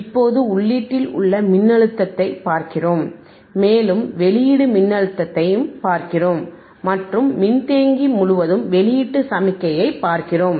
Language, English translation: Tamil, Now, we are looking at the voltage at the input and we are looking at the voltage at the output, or a connect to capacitorand across the capacitor and we are looking at the output signal